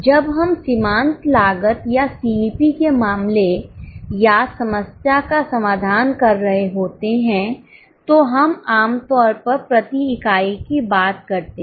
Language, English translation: Hindi, When we are solving a marginal costing or a CBP case or a problem, we normally go by per unit